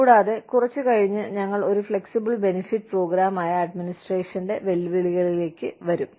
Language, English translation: Malayalam, And, we will come to the challenges of administering, a flexible benefits program, a little later